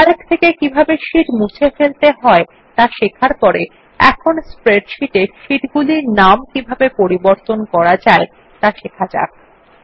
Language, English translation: Bengali, After learning about how to delete sheets in Calc, we will now learn how to rename sheets in a spreadsheet